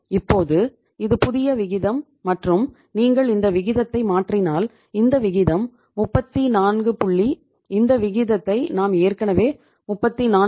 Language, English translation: Tamil, Now this is the new ratio and if you change this ratio this is this ratio is 34 point we have already calculated this ratio, 34